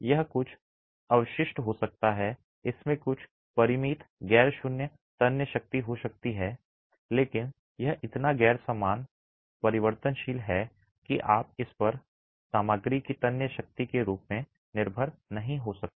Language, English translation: Hindi, It might have some residual, it might have some finite non zero tensile strength, but it is so non uniform variable that you can't depend on it as a tensile strength of the material